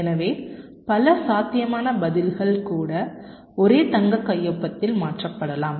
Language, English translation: Tamil, so even many possible responses might get mapped into the same golden signature